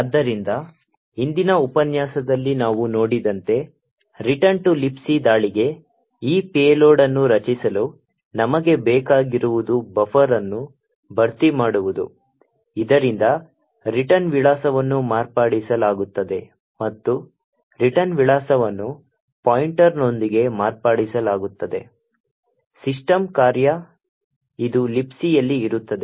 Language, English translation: Kannada, So, in order to create this payload for the return to libc attack as we have seen in the previous lecture, what we would require is to fill the buffer so that the return address is modified and the return address is modified with a pointer to the system function, which is present in the libc